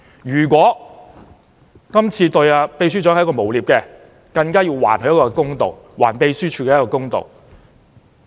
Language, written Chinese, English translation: Cantonese, 如果查明今次這項指控是對秘書長的誣衊，更要還他一個公道，還秘書處一個公道。, If it is ascertained in the investigation that this accusation is a slanderous allegation against the Secretary General it is necessary to do justice to him and the Secretariat